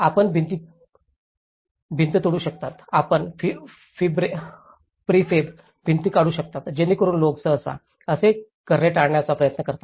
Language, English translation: Marathi, You can break the walls; you can take out the prefab walls, so people generally try to avoid doing that